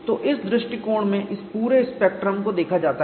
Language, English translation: Hindi, So, this whole spectrum is looked at, in this approach